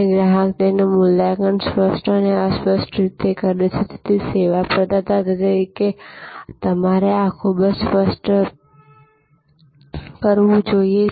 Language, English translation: Gujarati, And since the customer evaluates that explicitly and implicitly, you as a service provider must do this very explicitly